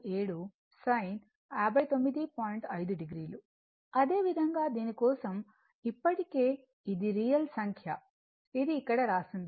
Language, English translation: Telugu, 5 degree similarly, for this one and this one already it is real and numeric it is written here